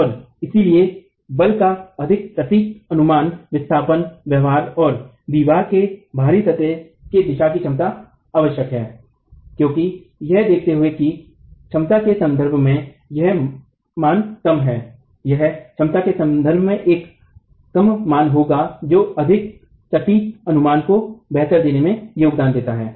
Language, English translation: Hindi, And therefore, a more accurate estimate of the force displacement behavior and the capacity of the wall in the out of plane direction is essential because considering that these are low values in terms of capacity, it will be a low value in terms of capacity, anything that contributes to a more accurate estimate is better